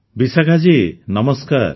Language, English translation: Odia, Vishakha ji, Namaskar